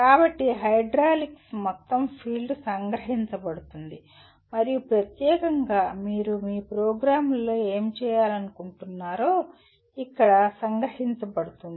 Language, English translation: Telugu, So the entire field of hydraulics is captured and specifically what you are planning to do to your program is captured here